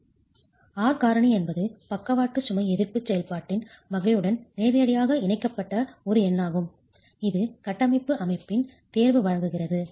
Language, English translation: Tamil, The R factor is one number which is linked directly to the type of lateral load resisting function choice of structural system provides